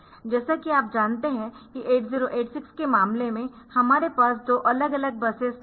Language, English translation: Hindi, So, this as you know that in case of 8086 we do not have 2 separate buses